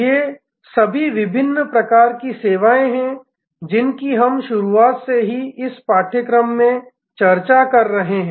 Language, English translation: Hindi, These are all the different types of services that we have been discussing in this course right from the beginning